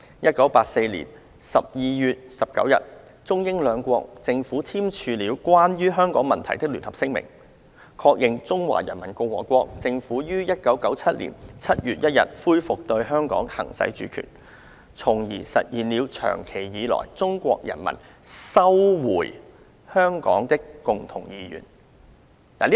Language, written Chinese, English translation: Cantonese, 一九八四年十二月十九日，中英兩國政府簽署了關於香港問題的聯合聲明，確認中華人民共和國政府於一九九七年七月一日恢復對香港行使主權，從而實現了長期以來中國人民收回香港的共同願望。, On 19 December 1984 the Chinese and British Governments signed the Joint Declaration on the Question of Hong Kong affirming that the Government of the Peoples Republic of China will resume the exercise of sovereignty over Hong Kong with effect from 1 July 1997 thus fulfilling the long - cherished common aspiration of the Chinese people for the recovery of Hong Kong